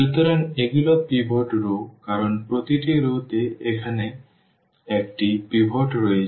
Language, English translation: Bengali, So, these are the pivot rows because the each rows has a pivot here now, each rows has a pivot